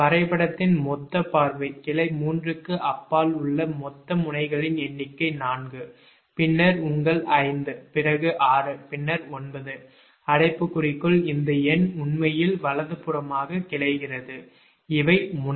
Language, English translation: Tamil, the total number of nodes beyond branch three is that is four, then your five, then six and then nine in the bracket this number actually branches right and these are the node